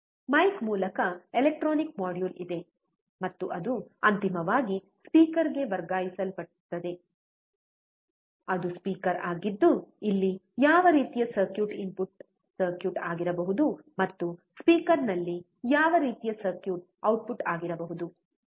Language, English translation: Kannada, Through mike there is a electronic module, and it transferred to the speaker that finally, is a speaker which kind of circuit can be the input circuit here, and which kind of circuit can be output at the speaker